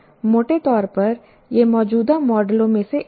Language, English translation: Hindi, Broadly, this is the one of the current models